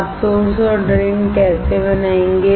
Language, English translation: Hindi, How you will create source and drain